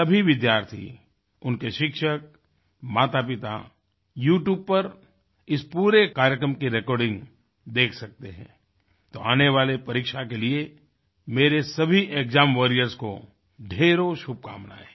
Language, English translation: Hindi, All the students, their teachers and parents can watch the recording of this entire event on YouTube, and I take this opportunity to wish all the best to all my'exam warriors', for their upcoming examinations